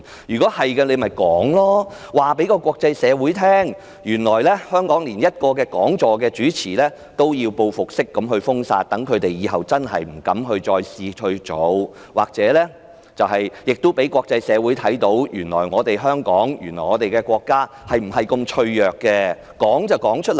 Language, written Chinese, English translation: Cantonese, 是的話，但說無妨，告訴國際社會，原來在香港主持一個講座也要遭報復式封殺，讓其他人以後不敢效法，亦可以讓國際社會看見，原來香港和國家如此脆弱，不妨老實說出來。, If that is the case please say so and tell the international community that chairing a talk will be retaliated by expulsion . This will serve as a warning to others not to follow suit . The international community will then know that Hong Kong and our country are so fragile